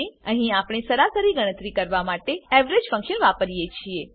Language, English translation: Gujarati, Here we use the average function to calculate the average